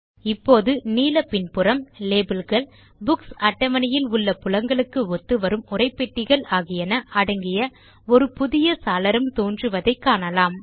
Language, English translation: Tamil, Now, we see a new window with a blue background with labels and text boxes corresponding to the fields in the Books table